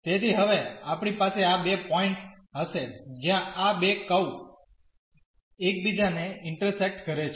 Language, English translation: Gujarati, So, we will have these two points now where these two curves intersects